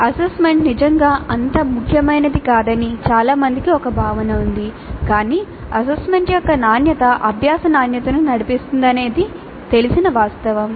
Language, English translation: Telugu, Many have a notion that assessment is really not that important, but it is a known fact that the quality of assessment drives the quality of learning